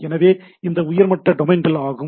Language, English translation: Tamil, So, these are top level domains